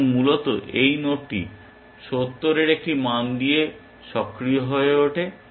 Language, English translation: Bengali, So, we basically this node becomes live with a value of 70